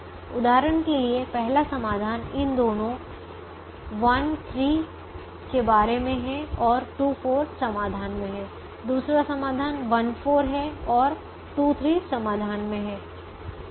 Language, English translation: Hindi, for example, the first solution is about having these two one three and two four are in the solution